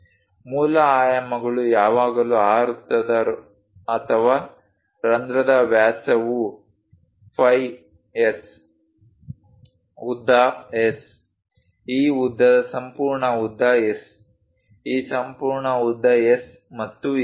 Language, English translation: Kannada, The basic dimensions are always be the diameter of that circle or hole is phi S, the length is S, this length complete length is S, this complete length is S and so on, so things